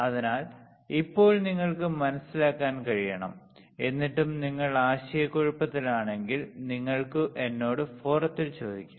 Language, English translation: Malayalam, So, now, you should be able to understand, still if you are confused, you ask me in the forum